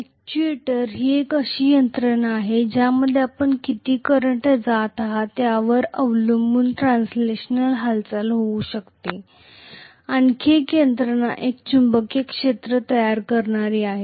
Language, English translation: Marathi, The actuator is a mechanism which may have a translational movement depending upon how much current you are passing through, another mechanism which is creating a magnetic field